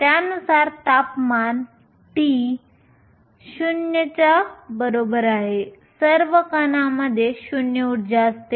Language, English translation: Marathi, According to this at temperature t equal to 0 all the particles have 0 energy